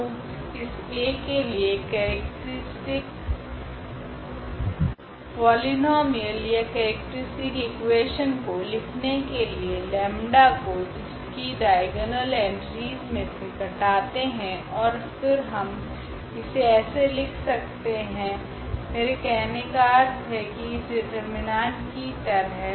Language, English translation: Hindi, So, the characteristic polynomial characteristic equation we have to write corresponding to this A which will be just by subtracting this lambda from the diagonal entries and now we can write down in terms of this I mean this determinant here